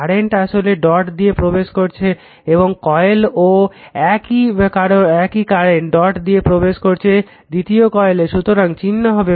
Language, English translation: Bengali, So, current actually entering into the dot of the first coil same current I entering the dot of the your second coil